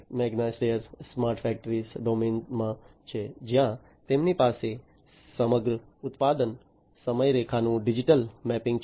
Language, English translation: Gujarati, Magna Steyr is in the smart factory domain, where they have digital mapping of entire production timeline